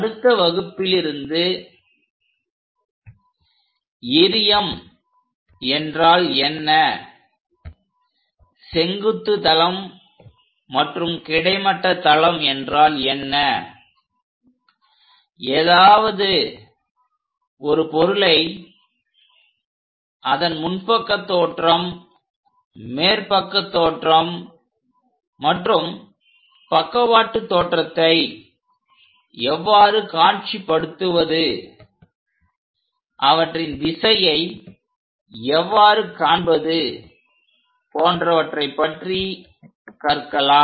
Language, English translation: Tamil, In the next class onwards we will learn more about these projections like; what is vertical plane, what is horizontal plane, how to visualize something in front view something as top view, something as side view and the directionality of these views